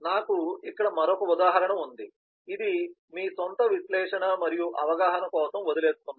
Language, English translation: Telugu, i have another illustration here, which i leave for your own analysis and understanding